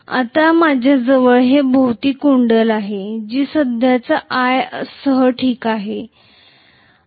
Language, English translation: Marathi, Now I am going to have a coil wound around here which is going to be passed with the current i, fine